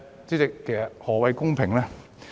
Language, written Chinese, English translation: Cantonese, 主席，何謂公平？, Chairman what is fairness?